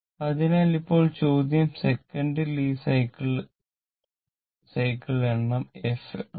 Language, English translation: Malayalam, So, now question is that your this number of cycles per second that is f